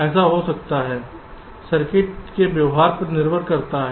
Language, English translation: Hindi, this may so happen depending on the behavior of the circuit